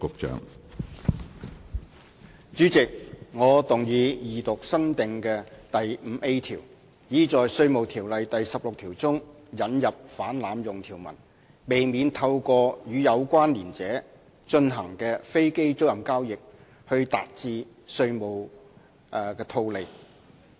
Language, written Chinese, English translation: Cantonese, 主席，我動議二讀新訂的第 5A 條，以在《稅務條例》第16條中引入反濫用條文，避免透過與有關連者進行的飛機租賃交易來達致稅務的套利。, Chairman I move the Second Reading of the new clause 5A which seeks to introduce provisions to section 16 of the Inland Revenue Ordinance in order to prevent abuses and possible taxation arbitrage in any aircraft leasing transaction which is conducted through a connected person